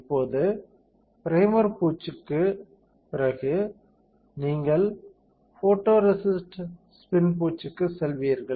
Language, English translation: Tamil, So, now after primer coating, you will go for photoresist spin coating